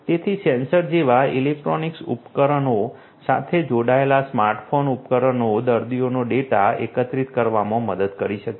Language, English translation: Gujarati, So, smart phone devices connected to electronic devices such as sensors can help in collecting the data of the patients